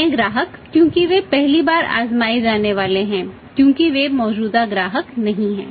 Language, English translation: Hindi, New customer because they are going to be tried for the first time they are not for the existing customers